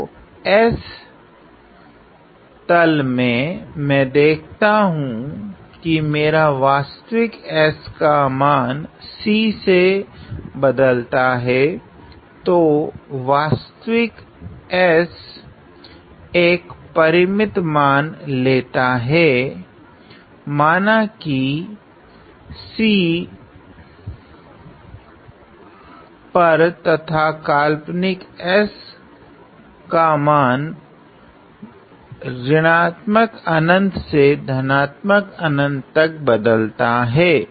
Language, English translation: Hindi, So, over the s plane I see that my real s varies from C; so, the real s takes of finite value let us say at C and the imaginary s goes from negative infinity to infinity